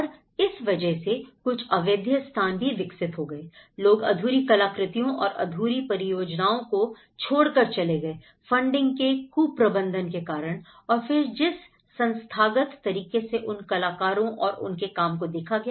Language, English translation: Hindi, And that way, it has also developed some kind of illegal spaces you know, that people just leftover these unfinished artworks or unfinished projects like that because of there was a funding mismanagement, there is the institutional, the way they looked at the these artists and the work